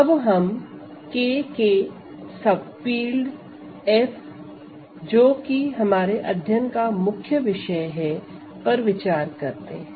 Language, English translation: Hindi, So, we are going to look at F is a subfield of K, so that is our main case